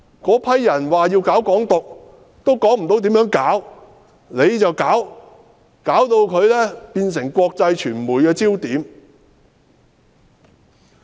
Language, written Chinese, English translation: Cantonese, 那些人說要搞"港獨"，也說不出要如何具體行動，政府卻把他們變成國際傳媒焦點。, Even those who vow to pursue Hong Kong independence cannot tell us the concrete actions to be taken but the Government has made them the focus of international media